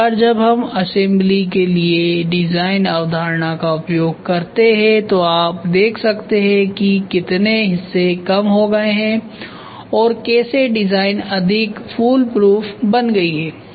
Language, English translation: Hindi, Once we use the concept for design for assembly you can see how much parts have reduced and how the design has become more fool proof